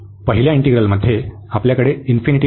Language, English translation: Marathi, In the first integral, we have no infinity